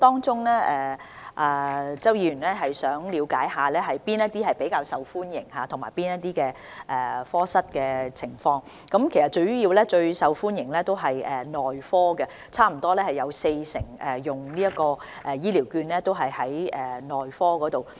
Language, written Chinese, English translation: Cantonese, 周議員想了解哪些是較受歡迎的服務及科室的情況，其實最受歡迎的主要是內科，差不多有四成醫療券用於內科服務。, Mr CHOW wished to know which services were more popular and situations of the clinicsdepartments . As a matter of fact the most popular ones mainly belong to the Medicine Clinic . Nearly 40 % of HCVs were used for medicine services